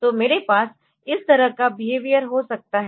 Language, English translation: Hindi, So, I would like to have a behaviour like this